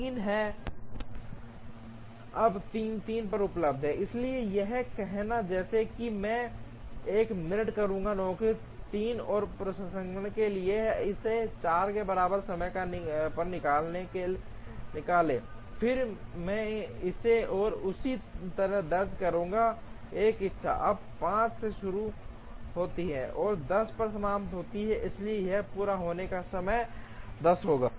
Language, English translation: Hindi, Now, 3 is available at 3, so it is like saying I will do one minute of processing of job 3, take it out at time equal to 4, then I will enter this one and so this one will, now start at 5, and finish at 10, so completion time here will be 10